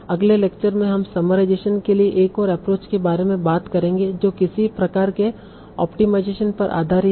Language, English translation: Hindi, So in the next lecture we'll talk about another approach for doing some variation that is based on some sort of optimization